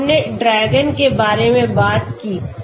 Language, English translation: Hindi, So we talked about DRAGON